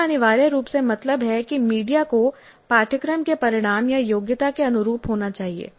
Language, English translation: Hindi, That essentially means that the media must be consistent with the course outcome or the competency